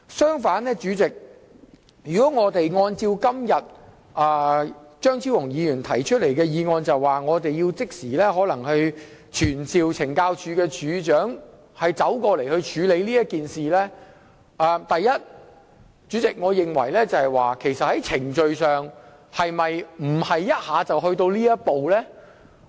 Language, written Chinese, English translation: Cantonese, 相反，若按照張超雄議員今天提出的議案，即時傳召懲教署署長到立法會席前處理事件，首先，我認為在程序上是否不應一下子跳到這一步？, On the contrary if we pass the motion moved by Dr Fernando CHEUNG today and handle the matters by immediately summoning the Commissioner of Correctional Services to attend before the Council I would first of all like to ask Is it procedurally appropriate to jump to this step at once?